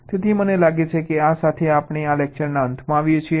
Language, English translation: Gujarati, so i think with this we come to the end of this lecture